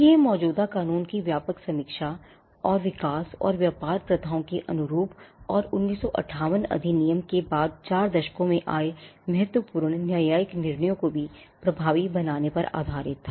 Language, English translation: Hindi, Now, this was based on a comprehensive review of the existing law, and in tune with the development and trade practices, and to give also effect to important judicial decisions which came in the 4 decades after the 1958 act